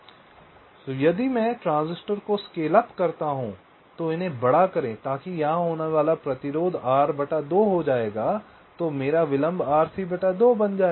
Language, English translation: Hindi, so if i scale up the transistor, make them bigger, lets say r by two, r by two, then my delay will become r, c by two right